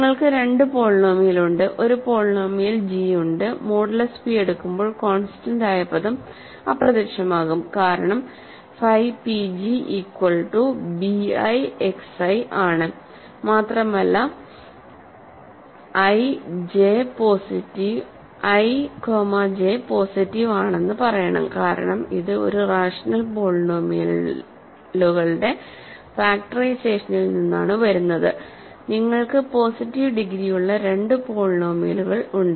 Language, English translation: Malayalam, So, you have two polynomial you have a polynomial g when you go modulo p the constant term disappears, right because phi p g is equal to b i X i and also I should say I is positive j is positive because this is a factorization that comes from the rational polynomials